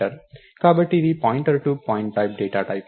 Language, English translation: Telugu, So, or its a pointer to pointType data type